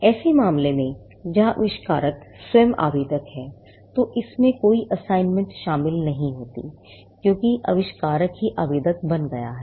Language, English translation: Hindi, In a case where the inventor himself or herself is the applicant, then, there is no assignment involved because, the inventor also became the applicant